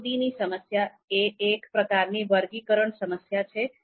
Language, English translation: Gujarati, So the elimination problem is a type of sorting problem itself